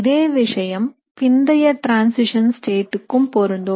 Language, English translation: Tamil, The same thing will also be true for a late transition state